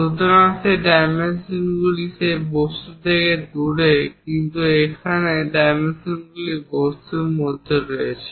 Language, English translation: Bengali, So, these dimensions are away from that object, but here the dimensions are within the object